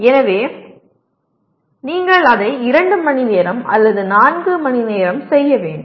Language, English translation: Tamil, So you have to do it for 2 hours or 4 hours